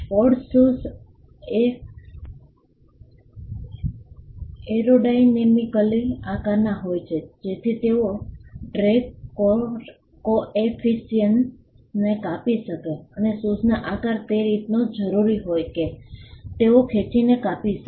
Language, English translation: Gujarati, Sport shoes are shaped aerodynamically so that they can cut the drag coefficient and it is necessary for shoes to be shaped in a way in which they can cut the drag